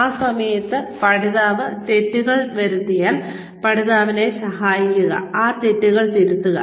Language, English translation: Malayalam, And at that point, if the learner makes mistakes, then help the learner, correct these mistakes